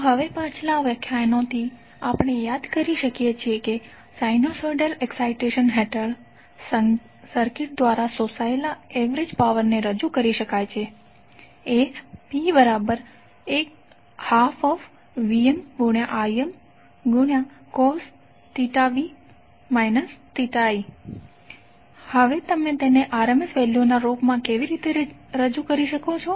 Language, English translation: Gujarati, So now from the previous lectures we can recollect that the average power absorbed by a circuit under sinusoidal excitation can be represented as P is equal to 1 by 2 VmIm cos theta v minus theta i